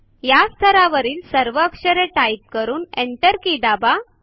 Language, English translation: Marathi, Complete typing all the characters in this level and press the Enter key